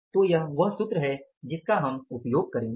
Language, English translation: Hindi, So, this is a formula we will be using